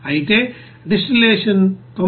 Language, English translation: Telugu, However distillate will have 99